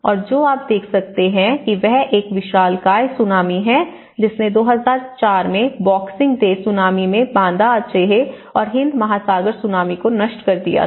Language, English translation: Hindi, And what you can see is a Giant Tsunami which has been destructed the Banda Aceh and the Indian Ocean Tsunami in 2004, the Boxing Day Tsunami